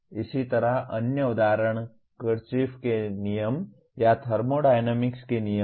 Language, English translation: Hindi, Similarly, other examples are Kirchoff’s laws or laws of thermodynamics